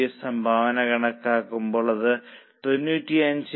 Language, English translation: Malayalam, Compute new contribution which is 95